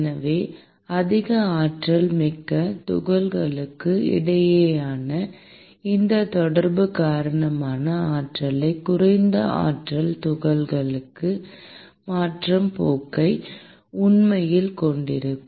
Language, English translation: Tamil, So, the more energetic particles would actually have the tendency because of this interaction between them to transfer the energy to a less energetic particle